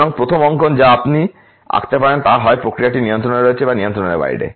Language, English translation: Bengali, So, the first conclusion that you can draw is either whether the process is in control or out of the control